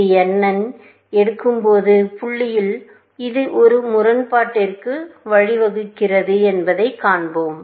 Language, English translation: Tamil, At the point, where it is about to pick n and we will show that this leads to a contradiction